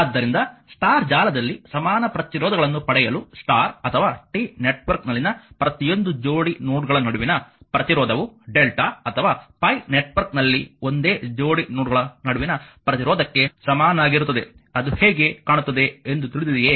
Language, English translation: Kannada, So, for obtaining the equivalent resistances in the star network, the resistance between each pair of nodes in the star or T network is the same as the resistance between the same pair of nodes in the delta or pi you know how it looks like